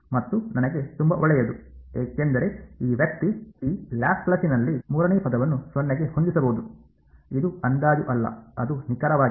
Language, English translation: Kannada, And as great for me because this guy the third term in this Laplacian can be set to 0; it is not an approximation it is exact right